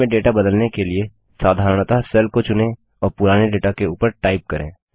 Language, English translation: Hindi, To replace the data in a cell, simply select the cell and type over the old data